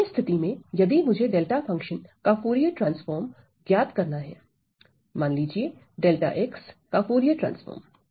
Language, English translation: Hindi, So, in particular if I want to evaluate the Fourier transform of delta function let us say Fourier transform of delta of x